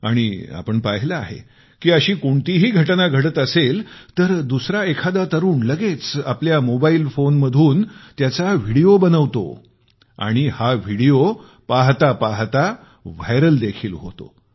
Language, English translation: Marathi, And we have noticed; if such an incident takes place, the youth present around make a video of it on their mobile phones, which goes viral within no time